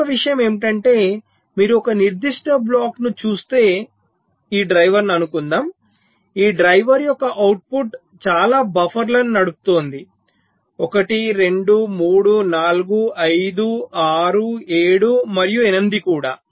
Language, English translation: Telugu, and the other thing is that if you look at a particular block, let say this driver, the output of this driver is driving so many buffers, one, two, three, four, five, six, seven and also itself eight